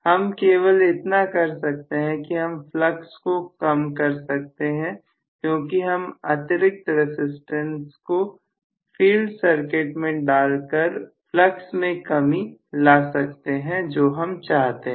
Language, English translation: Hindi, The only thing what probably I can do is to reduce the flux because I can include additional resistance in the field circuit and i would be able to deplete the flux if I want